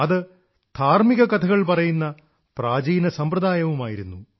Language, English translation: Malayalam, This is an ancient form of religious storytelling